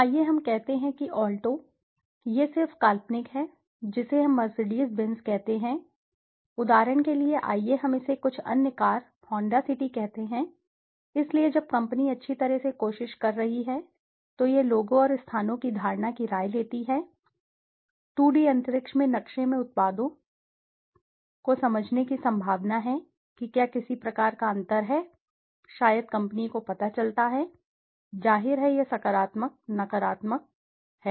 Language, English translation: Hindi, Let us say Alto, this is just hypothetical I am placing let us say Mercedes Benz, for example this is let us say some other car, Honda City, so when the company is trying to well it takes the opinion of perception of people and places the products in the map in the 2D space, then there is a possibility to understand whether there is some kind of a gap, maybe the company finds, obviously this is the positive, negative, positive, negative